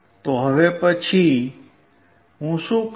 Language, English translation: Gujarati, So, and now what I will do